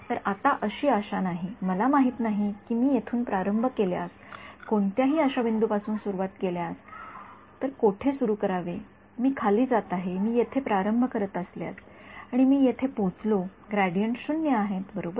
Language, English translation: Marathi, So, there is no hope actually I I just do not know where to start from if I start from some random point if I start from here again I go down I if I start from let us say here and I reach over here gradients are 0 right ok